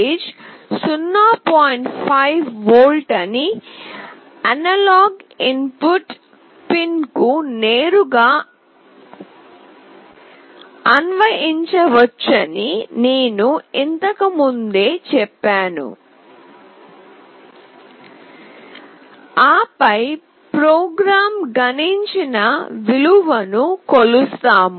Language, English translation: Telugu, 5 volt directly to the analog input pin, and then we measure the value printed by the program